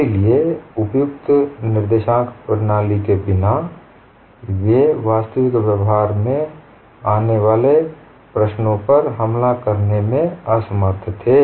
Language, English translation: Hindi, So without suitable coordinate system, they were unable to attach problems that come across in actual practice